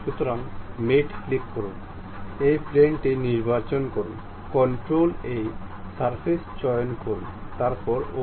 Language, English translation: Bengali, So, click mate, pick that surface, control, pick this surface, then ok